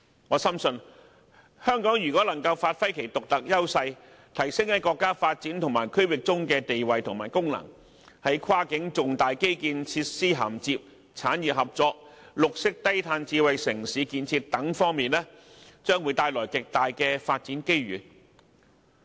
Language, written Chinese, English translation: Cantonese, 我深信，如果香港能夠發揮其獨特優勢，提升其在國家發展和區域合作中的地位和功能，那麼在跨境重大基建設施涵接、產業合作、綠色低碳智慧城市建設等方面，它將會獲得極大發展機遇。, I deeply believe that if Hong Kong can give play to its unique strengths in enhancing its status and function in the development of the country and regional cooperation it will have huge development opportunities in many areas such as major cross - boundary infrastructure links industrial cooperation and the construction of green and low - carbon smart - cities